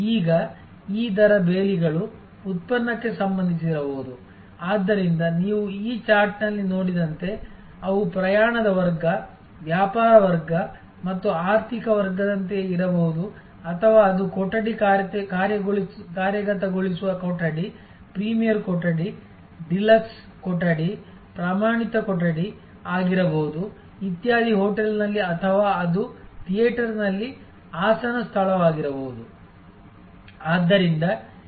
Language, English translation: Kannada, Now, this rate fences can be product related, so as you see on this chart that they can be like class of travel, business class versus economic class or it could be the type of room executing room, premier room, deluxe room, standard room etc in a hotel or it could be seat location in a theater